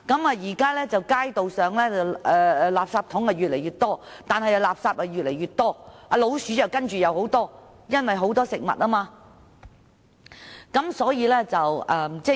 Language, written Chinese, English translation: Cantonese, 現時街道上的垃圾桶越來越多，但垃圾也越來越多，老鼠更多，主要是因為垃圾中有食物。, There are more and more garbage bins on the streets nowadays but there are also more and more garbage and rats mainly because there is food in the garbage